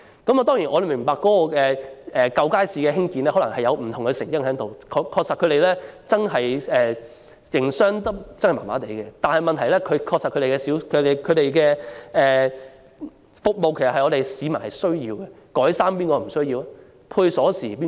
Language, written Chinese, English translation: Cantonese, 我們明白舊街市的冷清可能有不同成因，該處的商戶確實不太善於營商，但問題是市民確實需要有關服務，試問誰不需要改衣和配製鎖匙服務？, We understand that there are many different reasons behind the poor business of existing markets and it is true that their commercial tenants are not good at running business but the question is that these services are genuinely needed by the general public . Who does not need alteration service and key duplication service?